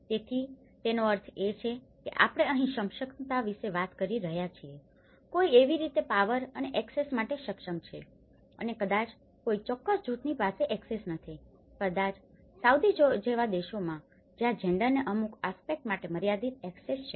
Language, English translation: Gujarati, So which means we are talking here about the capacities, how one is able to access to the power and the access and maybe a certain group is not having an access, maybe in countries like Saudi where gender have a limited access to certain aspects